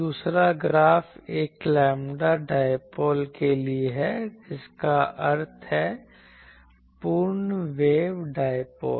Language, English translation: Hindi, The second graph is for a lambda dipole that means full wave dipole